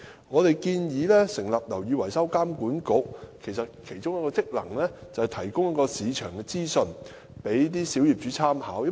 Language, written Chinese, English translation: Cantonese, 我們建議成立"樓宇維修工程監管局"，而該局的其中一個職能是提供市場資訊供小業主參考。, We propose to establish a building maintenance works authority of which one of the functions is to provide market information for property owners reference